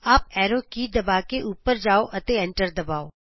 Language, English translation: Punjabi, Press the up arrow key, press enter